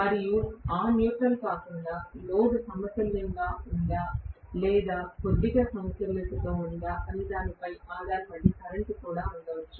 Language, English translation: Telugu, And apart from that neutral might also have current depending upon whether the load is balanced or unbalanced slightly